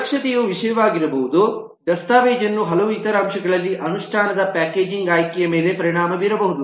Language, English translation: Kannada, the security could be the matter, the documentations, several other factors which could impact the choice of packaging in implementation